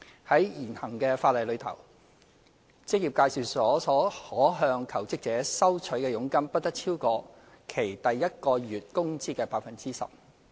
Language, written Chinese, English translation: Cantonese, 在現行法例下，職業介紹所可向求職者收取的佣金不得超過其第一個月工資的 10%。, Under the existing law the maximum commission which may be received by an employment agency from a jobseeker shall not exceed 10 % of his or her first months wages